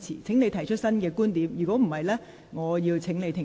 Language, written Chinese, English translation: Cantonese, 請你提出新的觀點，否則我會請你停止發言。, Would you please advance new arguments or else I will ask you to stop speaking